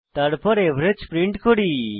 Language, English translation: Bengali, Then we print the average